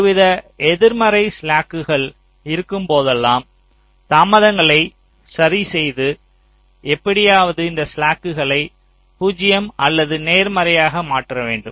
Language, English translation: Tamil, so whenever you have some kind of negative slacks somewhere, you have to adjust the delays somehow to make this slack either zero or positive